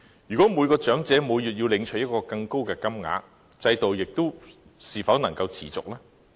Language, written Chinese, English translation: Cantonese, 如果每名長者每月要領取更高的金額，制度是否仍然能夠持續呢？, If each elderly person is to receive a higher amount every month can the system remain sustainable?